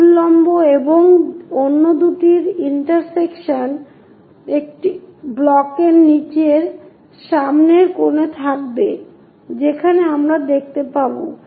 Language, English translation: Bengali, The intersection of this vertical and two others would be at lower front corner of a block with square corners we will see